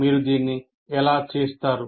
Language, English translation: Telugu, How do you do it